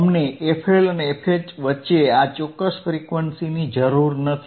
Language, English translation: Gujarati, We do not require this particular the frequency between FL and FH